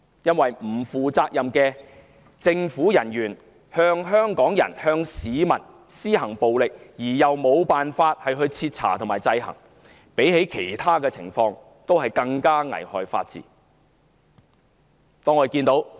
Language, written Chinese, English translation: Cantonese, 因為不負責任的政府人員向香港人、向市民施行暴力，而又無法徹查和制衡，這比其他情況更加危害法治。, For there is nothing more corrosive to the rule of law than violence inflicted on Hongkongers on members of the public by unaccountable state agents with no hopes for thorough investigations and checks